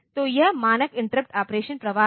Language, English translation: Hindi, So, this is the standard interrupt operation flow